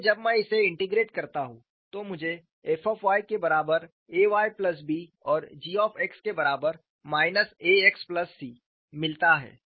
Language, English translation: Hindi, So, when I integrate this, I get f of y equal to A y plus B and g of x equal to minus A x plus C and these are constants; they are constants of integration